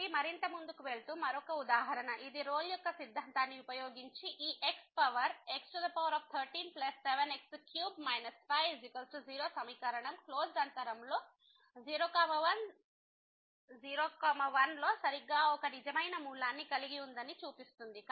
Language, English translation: Telugu, So, moving further this is another example which says the using Rolle’s Theorem show that the equation this x power 13 plus 7 x power 3 minus 5 is equal to 0 has exactly one real root in [0, 1], in the closed interval [0, 1]